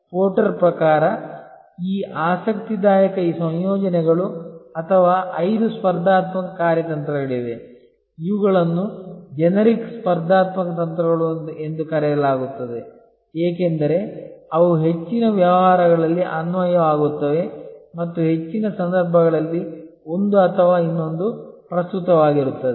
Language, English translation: Kannada, According to Porter, there are these interesting combinations or five competitive strategies, these are called the generic competitive strategies, because they are applicable in most businesses and in most situations, one or the other will be relevant